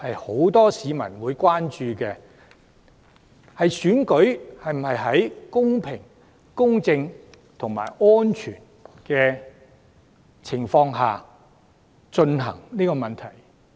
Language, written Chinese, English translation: Cantonese, 很多市民亦關注選舉能否在公平、公正及安全的情況下進行。, Many people are concerned whether elections can be held in a fair just and safe manner